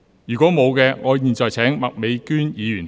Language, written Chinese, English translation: Cantonese, 如果沒有，我現在請麥美娟議員發言。, If not I now call upon Ms Alice MAK to speak